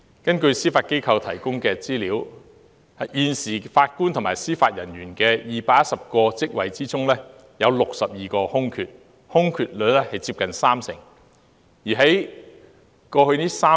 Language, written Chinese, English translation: Cantonese, 根據司法機構提供的資料，在現時法官及司法人員的218個職位中，有62個空缺，空缺率接近三成。, According to the information provided by the Judiciary there are currently 62 vacancies out of a total of 218 posts of JJOs with a vacancy rate of nearly 30 %